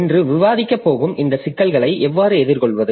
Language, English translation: Tamil, So, how to address this problem that we are going to discuss today